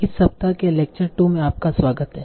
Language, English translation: Hindi, Welcome back for the lecture 2 of this week